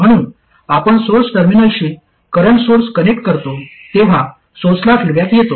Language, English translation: Marathi, So, when you connect a current source to the source terminal, there is already feedback to the source